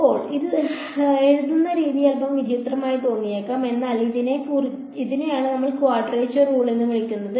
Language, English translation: Malayalam, Now, this way of writing it might look a little strange, but this is what we call a quadrature rule